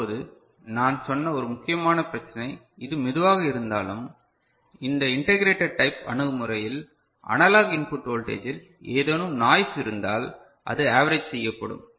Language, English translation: Tamil, Now, one important issue that I told that though it is slower this integrator type of approach, but because of this integrating action at the analog input voltage ok, if there is any noise or so, that gets averaged out ok